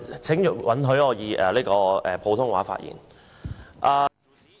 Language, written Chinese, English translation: Cantonese, 請允許我以普通話發言。, Please allow me to speak in Putonghua